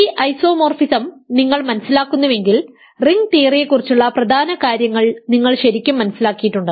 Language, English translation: Malayalam, If you understand this isomorphism you really have understood important things about ring theory